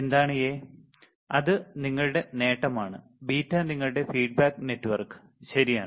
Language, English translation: Malayalam, What is A, is your gain; and beta is your feedback network right